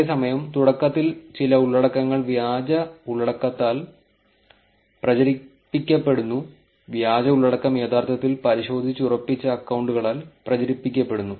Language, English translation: Malayalam, Whereas, initially there are some content that are getting propagated by fake content, fake content is getting propagated by people who are actually verified accounts